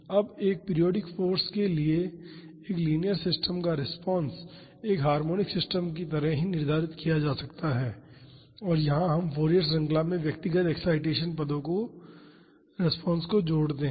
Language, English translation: Hindi, Now, the response of a linear system to a periodic force can be determined just like that of a harmonic system and here we combine the responses to individual excitation terms in Fourier series